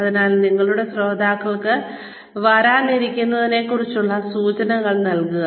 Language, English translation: Malayalam, So, give your listeners signals about, what is to come